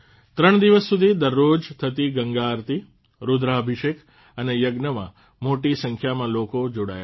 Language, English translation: Gujarati, A large number of people participated in the Ganga Aarti, Rudrabhishek and Yajna that took place every day for three days